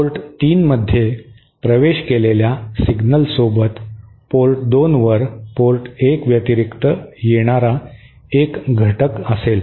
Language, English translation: Marathi, But any signal entering port 3 will also have a component appearing at port 2 in addition to the component appearing at port 1